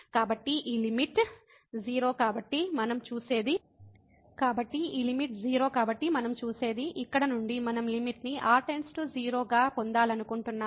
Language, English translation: Telugu, So, this limit is 0 so, what we see that this from here which we want to get the limit as goes to 0